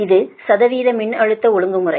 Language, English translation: Tamil, that means that is your percentage voltage regulation